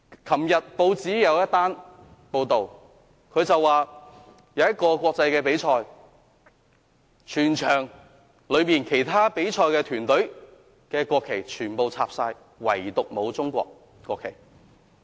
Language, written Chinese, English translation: Cantonese, 昨天有報章報道，在一個國際比賽上，插上了其他比賽團隊的國旗，唯獨沒有中國國旗。, It was reported in the newspapers yesterday that in an international competition all national flags of the participating countries were hoisted except that of China